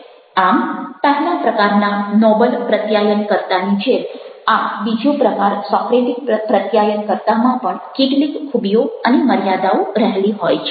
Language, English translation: Gujarati, so just like the first one, noble communicator, this second one, that is, socratic communicators, are also having certain strengths as well as weaknesses